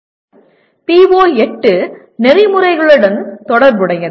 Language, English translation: Tamil, Now, the PO8 is related to Ethics